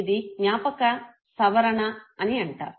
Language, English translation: Telugu, This is called memory construction